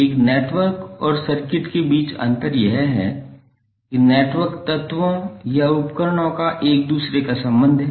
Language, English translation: Hindi, The difference between a network and circuit is that the network is and interconnection of elements or devices